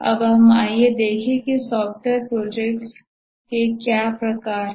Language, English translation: Hindi, Now let's look at what are the types of software projects